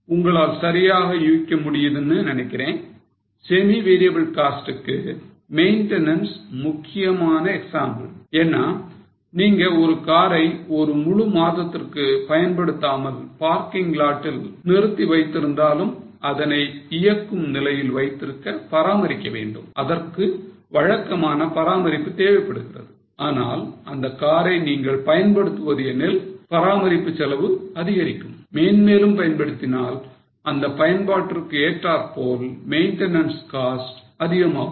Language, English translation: Tamil, Maintenance is an important example of semi variable cost because even if you park the car in the parking lot without using it for whole month you will need some maintenance just to keep the car in a running condition it requires regular maintenance but if you use the car the maintenance cost goes up and more and more the use the maintenance costs will also increase with usage